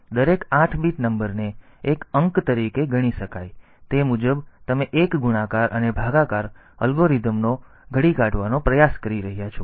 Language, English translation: Gujarati, So, each 8 bit number can be considered as a digit, accordingly you can try to devise one multiplication and division algorithm